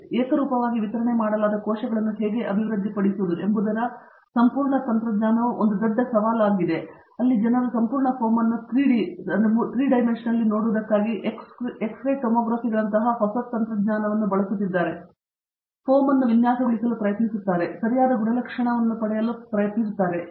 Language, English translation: Kannada, And, there the whole technology of how to develop uniformly distributed cells is a big challenge and there people are using newer technology such as X ray Tomography to actually see the whole foam in 3D and try to design the foam in such a way that you get the proper properties